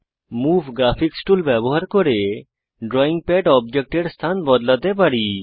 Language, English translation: Bengali, We can use the Move Graphics View tool and position the drawing pad objects